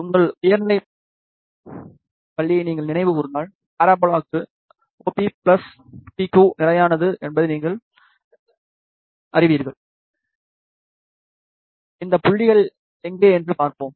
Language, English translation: Tamil, If you recall your high school, for parabola we know that OP plus PQ is constant, let us see where are these points